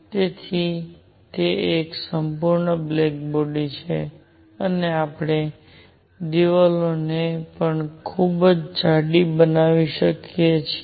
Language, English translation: Gujarati, So, that it is a perfect black body and we can also make the walls very thick